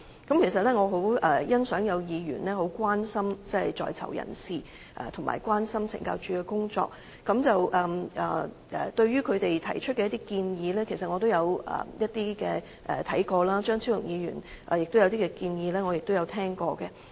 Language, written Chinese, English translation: Cantonese, 我其實很欣賞有議員關心在囚人士及懲教署的工作，對於他們提出的建議，其實我也有視察；至於張超雄議員的建議，我也有聽聞。, Actually I really appreciate Members who show concerns about prisoners and the work of CSD . With regards to the recommendations actually I have also looked into those areas . I have also heard of things pertaining to the recommendations of Dr Fernando CHEUNG